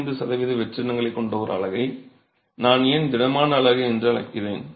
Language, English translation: Tamil, Why is that I am calling a unit which has about 25% voids as a solid unit